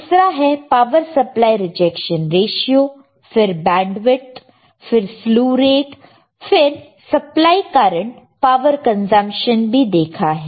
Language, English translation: Hindi, This is another called power supply rejection ratio then bandwidth right slew rate supply current power consumption